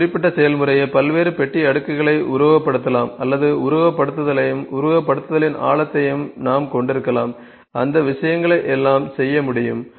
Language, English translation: Tamil, It can simulate the specific process, the various you can say box plots or we can have the simulation and the depth of simulation, those things all could be done ok